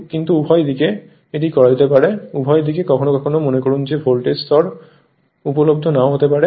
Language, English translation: Bengali, So, but either side, it can be done; either side, sometimes suppose that voltage level may not be available right